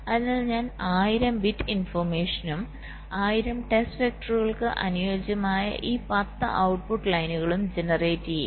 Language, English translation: Malayalam, there are ten output lines, so i will be generating one thousand bits of information and each of this ten output lines corresponding to the one thousand test vectors